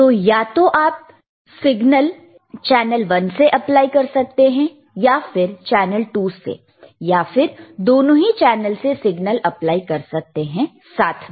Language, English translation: Hindi, So, either you can apply signal through channel one, or you can apply signal through channel 2, or you can apply signal through both channels simultaneously, right